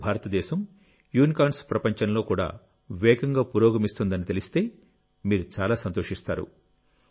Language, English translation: Telugu, You will be very happy to know that now India is flying high even in the world of Unicorns